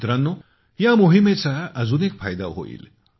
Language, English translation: Marathi, Friends, this campaign shall benefit us in another way